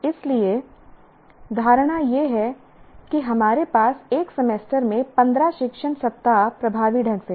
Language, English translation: Hindi, So the assumption is we have a 15 teaching weeks in a semester effectively